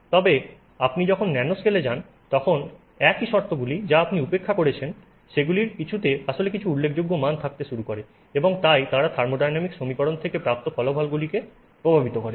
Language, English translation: Bengali, But when you go to the nano scale the same, those that some of the terms that you ignored actually start having some significant value and therefore they affect the result that you get from the thermodynamic equation